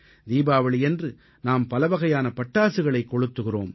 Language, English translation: Tamil, In Diwali we burst fire crackers of all kinds